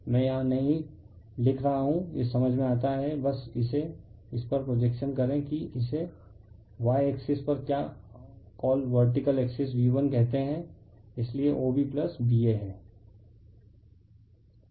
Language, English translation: Hindi, I am not writing here it is understandable just make it your projection on this your on this your on this your what you call on this y axis vertical axis say your V 1, right, so OB plus BA